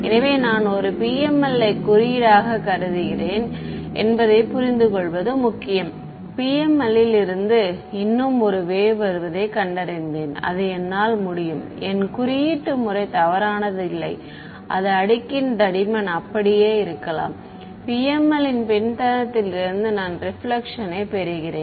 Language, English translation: Tamil, So, it is important to understand supposing I code up perfectly a PML and I find that there is a wave still coming from the PML its it could it, its not necessary that my coding was incorrect it may be just that the layer thickness is so, small that I am getting a reflection from the backend of the PML right